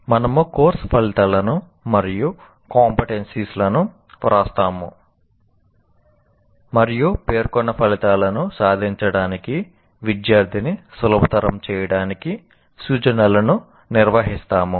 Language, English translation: Telugu, We write course outcomes and competencies and conduct instruction to facilitate the student to attain the stated outcomes